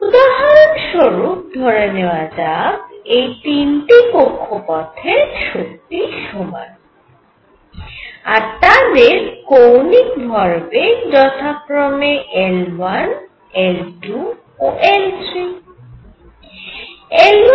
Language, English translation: Bengali, So, for example, suppose these 3 orbits have all the same energies and have angular momentum L 1 L 2 and L 3